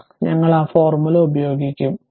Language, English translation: Malayalam, So, we will apply that formula